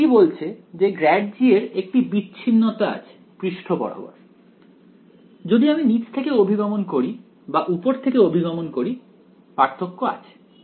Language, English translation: Bengali, So, it is suggesting that grad g has a discontinuity across the surface right if I approach from bottom or if I approach from top there is a there is a difference